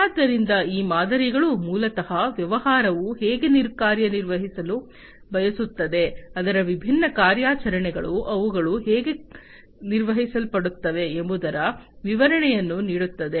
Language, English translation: Kannada, So, these models basically will give the description of how the business wants to operate, its different operations, how it is how they are going to be performed